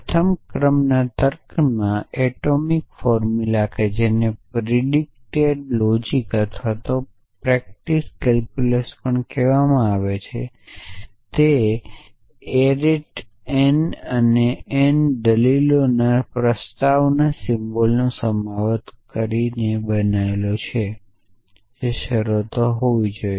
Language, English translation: Gujarati, Atomic formula in first order logic which is also called predicate logic or predicate calculus is made up of taking proposition symbol of arity n and n arguments which must be terms essentially